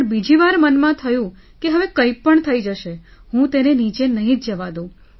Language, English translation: Gujarati, But the second time it was in my mind that if something happens now, I will not let it lower down